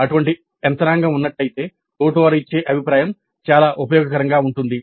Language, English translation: Telugu, If such a mechanism exists, then the feedback given by the peers can be quite useful